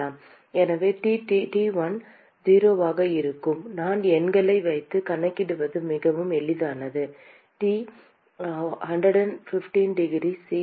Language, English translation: Tamil, So, T1 will be 0 I will just put the numbers it is very easy to calculate 115 degree C